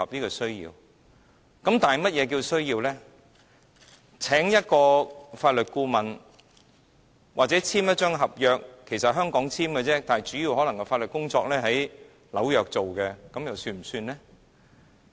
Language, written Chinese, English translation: Cantonese, 例如要簽訂一份合約，須聘請一位法律顧問——合約在香港簽訂，主要法律工作在紐約進行，這樣算不算呢？, For instance in a case where all the legal work is basically done in New York except for the signing of the contract and the hiring of a legal adviser in Hong Kong should the aircraft leasing services be counted as offshore?